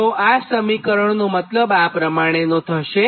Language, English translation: Gujarati, so that means this is the meaning of this equation